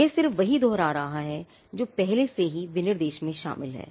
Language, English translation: Hindi, It is just reiterating what is already covered in the specification